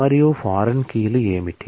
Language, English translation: Telugu, And what are the foreign keys